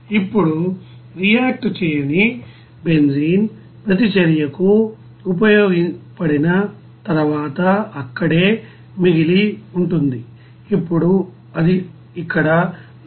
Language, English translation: Telugu, Now, unreacted benzene will be then remaining whatever you know there after you know useful for the reaction, now it will be here 189